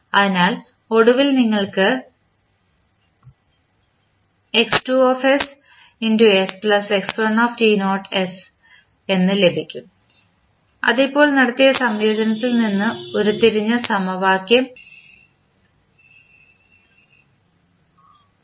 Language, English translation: Malayalam, So, finally you get x1s as x2s plus x1 t naught divided s which is nothing but the equation which we just derived in case of the integration which we just performed